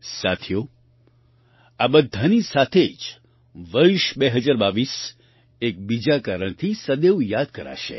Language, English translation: Gujarati, Friends, along with all this, the year 2022 will always be remembered for one more reason